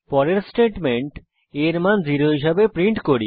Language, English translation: Bengali, The next statement prints as value as o